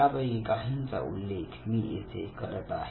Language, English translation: Marathi, I am just naming few of them